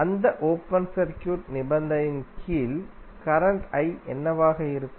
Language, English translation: Tamil, Under that open circuit condition what would be the current I